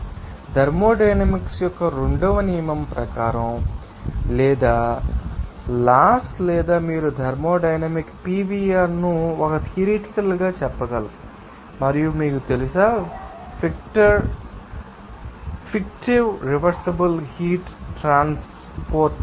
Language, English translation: Telugu, So, according to that second law of thermodynamics or you know that laws or you can say thermodynamic PVR in a theoretical and you know, fictive reversible heat transport